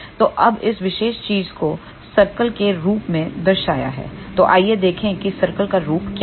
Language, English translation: Hindi, So, now, this particular thing can be represented in the form of the circle so, let us see what is the form of the circle